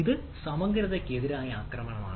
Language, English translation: Malayalam, so that is a attack on integrity